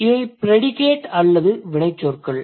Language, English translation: Tamil, These are the predicates or the verbs